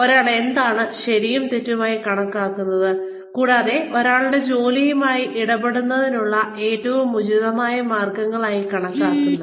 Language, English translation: Malayalam, What one considers as right and wrong, and the most appropriate ways of dealing, with one's work